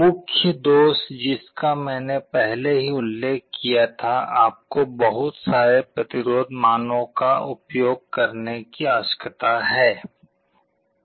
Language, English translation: Hindi, The main drawback I already mentioned, you need to use so many resistance values